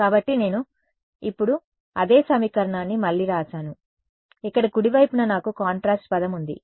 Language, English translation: Telugu, So, I have just rewritten that same equation now, I have the contrast term over here on the right hand side right